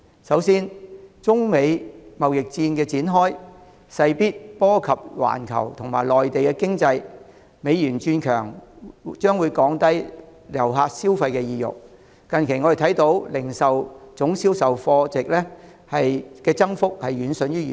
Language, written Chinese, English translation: Cantonese, 首先，中美貿易戰展開，勢必波及環球及內地的經濟，美元轉強，將會降低遊客的消費意欲，我們見到近期零售業總銷貨價值的增幅遠遜於預期。, Firstly the opening of the United States - China trade war will definitely affect the global and Mainland economies . A stronger US dollar will weaken visitors consumer sentiments . We have seen that the recent growth in total retail sales value is far short of expectation